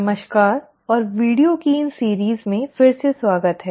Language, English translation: Hindi, So, hi and welcome again to these series of videos